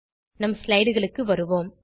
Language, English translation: Tamil, Let us move back to our slides